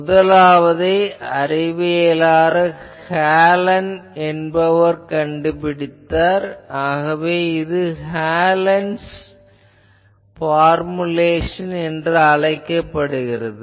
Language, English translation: Tamil, The first one scientist Hallen he first found out these, so that is why this formulation of the analysis that is called Hallen’s formulation which we will see